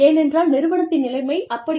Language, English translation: Tamil, Because, the system is such